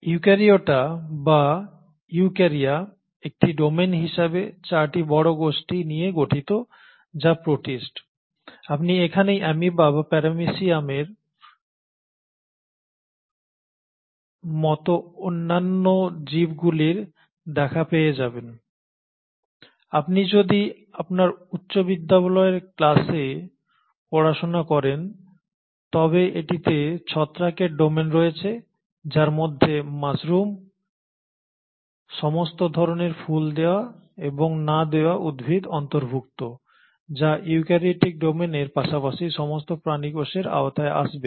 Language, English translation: Bengali, Now eukaryota or eukarya as a domain consists of 4 major group of organisms which are the protists, this is where you will come across amoeba and other organisms like paramecium, if you studied in your high school classes, it also consists of the fungal domain which includes mushrooms, all kinds of flowering and non flowering plants which will come under the eukaryotic domain as well as all the animal cells